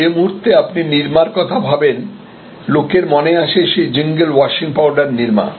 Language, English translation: Bengali, The moment you think of nirma, people remember the jingle washing powder nirma and so on